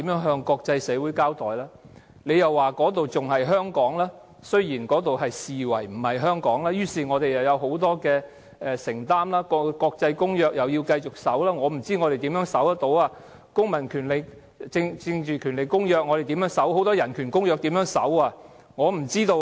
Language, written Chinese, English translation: Cantonese, 政府說那裏仍然是香港，雖然那裏被視為不是香港，於是我們仍然有很多承擔，須繼續遵守國際公約——但我不知我們可以怎樣遵守《公民權利和政治權利國際公約》、國際人權公約等各項公約。, According to the Government that area is still within Hong Kong although it is considered not to be Hong Kong and therefore we still have a lot of commitment and it is necessary to continuously abide by the international covenants―but I have no idea how we can abide by the International Covenant on Civil and Political Rights international human rights covenants and so on